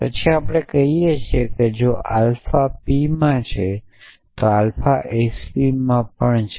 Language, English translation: Gujarati, Then we say that if alpha belongs to p then alpha belongs to s p